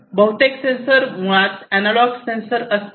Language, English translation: Marathi, So, most of these sensors basically; most of these sensors are basically analog sensors